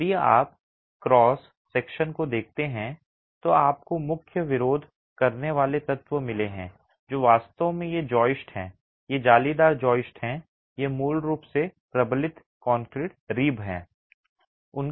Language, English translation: Hindi, If you look at the cross section you've got the main resisting elements which are really these joists, these lattice joists, they are basically reinforced concrete ribs